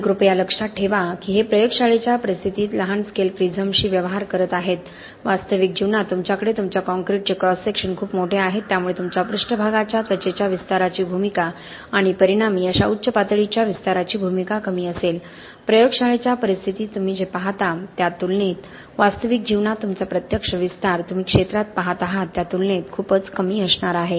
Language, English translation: Marathi, And please remember these are dealing with small scale prisms in laboratory conditions, in real life you have much larger cross sections of your concrete, so there the role of your surface skin expanding and resulting in such high levels of expansion is going to be minimal, okay in real life your actual expansions that you see in the field are going to be much lower as compared to what you see in laboratory conditions